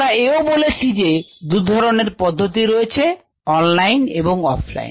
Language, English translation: Bengali, we said that they were two different kinds: the online and the offline methods